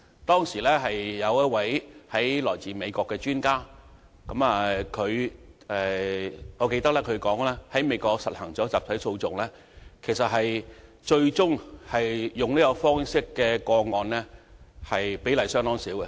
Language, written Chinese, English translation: Cantonese, 當時，一位來自美國的專家表示，在美國推行集體訴訟後，最終採用這種方式的個案比例相當少。, At that time an expert from the United States said that quite a small percentage of cases eventually resorted to class actions after this mechanism was introduced in the United States